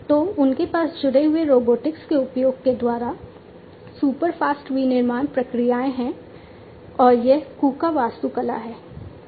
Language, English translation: Hindi, So, they have super fast manufacturing processes through, the use of connected robotics and this is the KUKA architecture